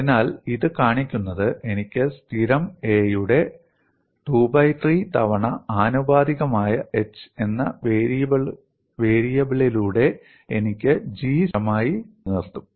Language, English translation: Malayalam, As I can make G constant by having a variable h, it is proportional to a power 2 by 3; in essence, I would maintain a square by h cube as constant